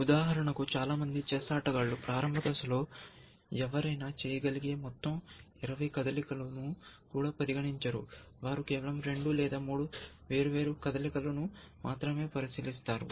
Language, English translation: Telugu, So, most chess players for example, would not even consider all the twenty moves that you can make at the starting point, they would have a fancy for two or three different possible moves